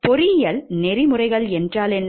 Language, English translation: Tamil, So, what is engineering ethics